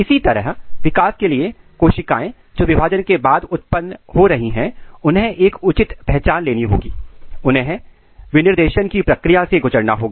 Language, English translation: Hindi, Similarly, for development the cells which are coming off after the division they have to take a proper identity, they have to undergo the process of specification, this is very important